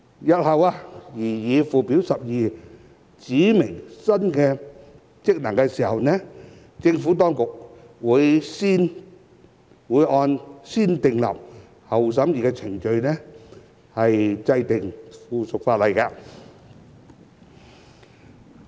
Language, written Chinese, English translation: Cantonese, 日後在擬議附表12指明新職能時，政府當局會按"先訂立後審議"的程序制定附屬法例。, When new functions are to be specified in the proposed Schedule 12 in the future the Administration will enact subsidiary legislation which will be subject to the negative vetting procedure